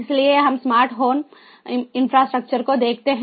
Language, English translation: Hindi, so, going back, let us look at the smart home infrastructure